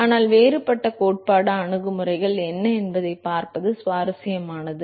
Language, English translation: Tamil, But what is more interesting is to look at what are the different theoretical approaches